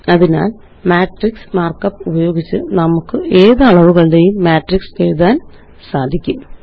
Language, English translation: Malayalam, So using the matrix mark up, we can write matrices of any dimensions